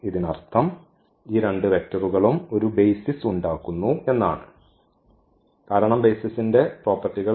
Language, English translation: Malayalam, So; that means, these two vectors form a basis because, that is a property of the basis